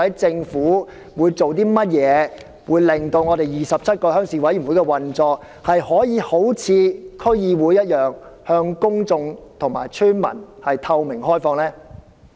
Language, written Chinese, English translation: Cantonese, 政府會採取甚麼措施令27個鄉事會的運作可以一如區議會般，以透明開放的方式向公眾和村民負責？, What measures will be implemented by the Government to ensure that the 27 RCs will like District Councils operate in a way that is accountable to members of the public and villagers in a transparent and open manner?